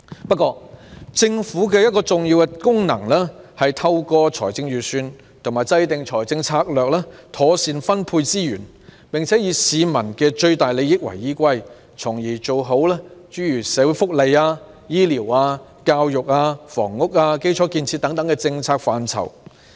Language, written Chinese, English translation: Cantonese, 不過，政府的一個重要功能是，透過財政預算和制訂財政策略，妥善分配資源，並且以市民的最大利益為依歸，從而在社會福利、醫療、教育、房屋、基礎建設等政策範疇做到最好。, However an important function of the Government is to properly allocate resources through formulating the Budget and financial strategies for the greatest interests of the public thereby making the best arrangement in various policy areas such as social welfare health care education housing and infrastructure